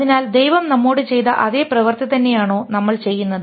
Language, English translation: Malayalam, So are we doing the same thing what God did to us